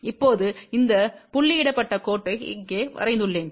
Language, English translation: Tamil, Now, I have drawn this dotted line over here